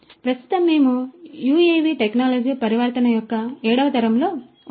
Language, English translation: Telugu, So, currently we are in the seventh generation of UAV technology transformation